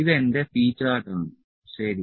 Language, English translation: Malayalam, So, this was the p chart